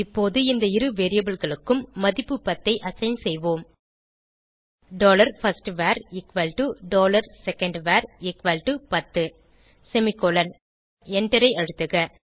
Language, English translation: Tamil, And now let us assign the value 10 to both of these variables by typing, dollar firstVar equal to dollar secondVar equal to ten semicolon And Press Enter